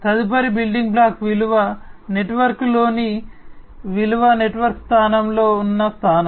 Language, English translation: Telugu, The next building block is the position in the value network position in the value network